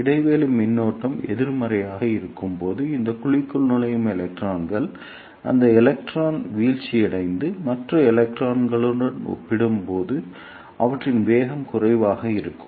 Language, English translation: Tamil, And the electrons which entered this cavity when the gap voltage is negative, those electrons will be decelerated and their velocities will be lesser as compared to the other electrons